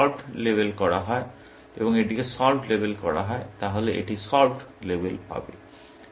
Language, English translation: Bengali, If this was to be labeled solved, and this was to be labeled solved, then this will get labeled solved